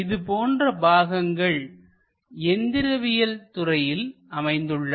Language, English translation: Tamil, Such kind of objects exist for mechanical engineering